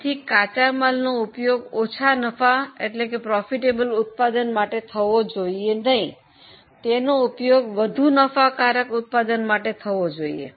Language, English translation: Gujarati, So, instead of using it for less profitable product, it can be transferred for more profitable product